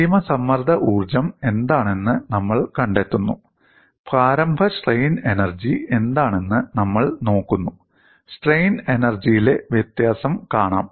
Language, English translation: Malayalam, We find out what is the final strain energy; then, we look at what is the initial strain energy, and the difference in strain energy is seen